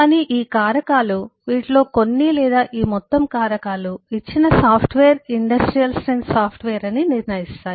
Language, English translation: Telugu, but these factors, some of these or all of these factors, decide that the software is industrial strength